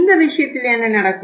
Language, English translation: Tamil, In this case what happens